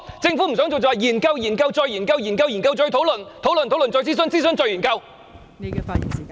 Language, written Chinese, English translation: Cantonese, 政府不想做便會說研究、研究、再研究，研究、研究、再討論，討論、討論、再諮詢，諮詢後再研究......, Whenever the Government does not want to do something it will conduct studies over and over again discussions over and over again and consultations over and over again